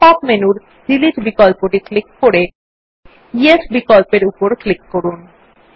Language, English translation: Bengali, Now click on the Delete option in the pop up menu and then click on the Yes option